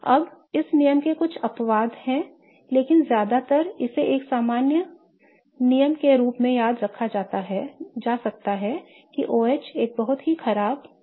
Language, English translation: Hindi, Now there are some exceptions to this rule but more often this can be remembered as a general rule that OH is a very bad leaving group